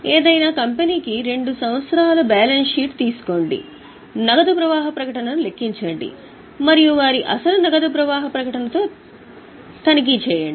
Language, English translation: Telugu, Take two years balance sheet for any company, calculate the cash flow statement and check it with their actual cash flow statement